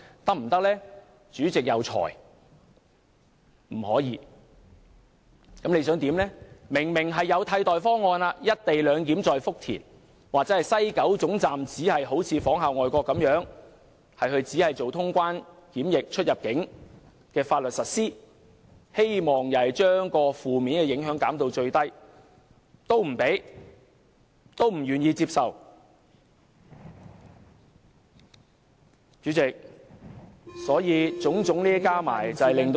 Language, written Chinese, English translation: Cantonese, 我們提出在福田實施"一地兩檢"的替代方案，但政府不接受，我們提出西九龍總站仿效外國，只實行清關、出入境、檢疫相關的大陸法律，希望把負面影響減至最低，但主席不批准我們的修正案。, We proposed an alternative plan of implementing the co - location arrangement at Futian but the Government did not accept our proposal . We proposed that we follow the example of foreign countries and only implement Mainland laws relating to customs immigration and quarantine procedures at the West Kowloon Station with the hope of minimizing the adverse impacts but the President ruled our amendments inadmissible